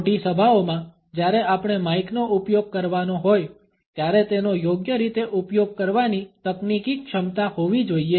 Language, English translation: Gujarati, In large gatherings when we have to use the mike we should have the technical competence to use it properly